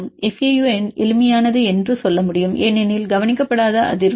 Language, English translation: Tamil, The simplest one we can say the fau because unweighted frequency